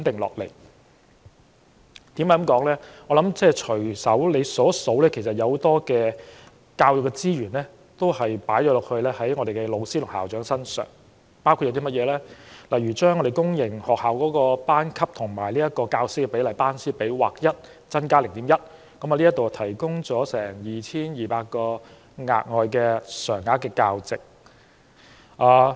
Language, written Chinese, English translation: Cantonese, 只要我們隨便數一數，就會看到很多教育資源投放到教師和校長身上，包括把公營學校的班級與教師比例劃一增加 0.1， 提供了 2,200 個額外的常額教席。, If we make a causal count we will find that a substantial amount of education resources has been devoted to teachers and principals . These measures include having increased the teacher - to - class ratio for public sector schools by 0.1 across - the - board and provided around 2 200 additional regular teaching posts